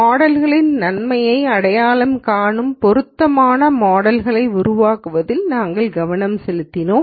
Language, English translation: Tamil, Here we focused on building appropriate models identifying the goodness of models and so on